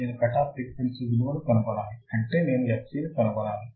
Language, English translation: Telugu, I have to find the cutoff frequency; that means, I have to find fc